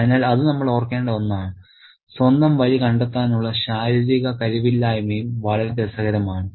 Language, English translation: Malayalam, So, that's also something that we need to remember the physical inability to find his own way is also very interesting